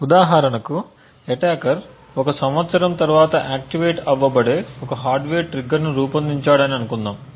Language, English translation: Telugu, For example, let us say that the attacker has designed the hardware trigger so that it gets activated after a year